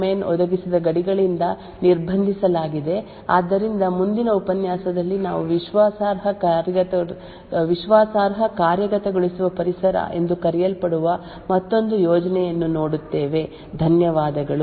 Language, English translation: Kannada, So these fault domains are restricted by the boundaries provided by that particular fault domain, so in the next lecture we look at another scheme which is known as trusted execution environment, thank you